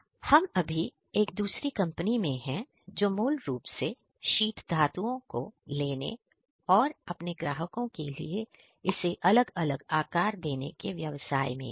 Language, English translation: Hindi, So, right now we are in another company which is basically into the business of taking sheet metals and giving it some kind of a shape for its clients